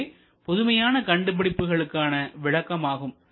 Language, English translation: Tamil, So, that is how the innovation would be defined